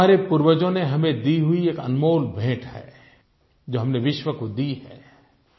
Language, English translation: Hindi, This is a priceless gift handed over to us by our ancestors, which we have given to the world